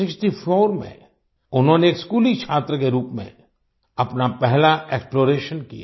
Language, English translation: Hindi, In 1964, he did his first exploration as a schoolboy